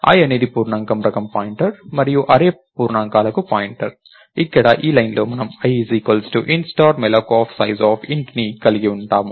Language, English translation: Telugu, So, i is a pointer of integer type and array is also a pointer to integers, so in this line here, we have i equals int star malloc of sizeof int